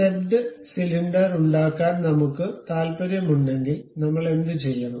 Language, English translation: Malayalam, If we are interested in stepped cylinder what we have to do